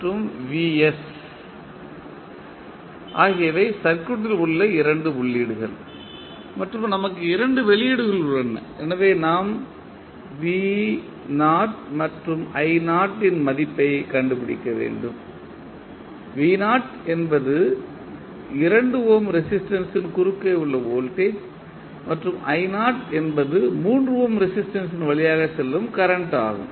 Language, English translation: Tamil, vs and vi are the two inputs in the circuit and we have two outputs so we need to find the value of v naught and i naught, v naught is the voltage across 2 ohm resistance and i naught is the current following through the 3 ohm resistance